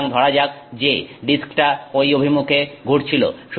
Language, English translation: Bengali, So, let's assume that the disk was rotating in that direction, right